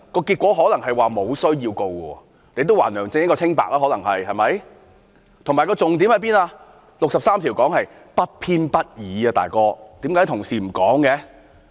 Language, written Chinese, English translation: Cantonese, 結果可能是沒有需要提告，亦可以還梁振英一個清白，以及重點是《基本法》第六十三條所說的不偏不倚，"老兄"，為何同事不說？, Perhaps according to the independent legal opinions no charge would be laid and that will clear the reputation of LEUNG Chun - ying . The key point is impartiality as implied in Article 63 of the Basic Law . Buddy why our colleagues fail to mention that?